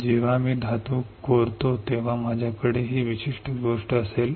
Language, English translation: Marathi, When I etched the metal I will have this particular thing